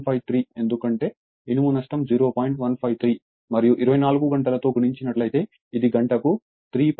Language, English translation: Telugu, 153 and 24 hours multiplied, it will be 3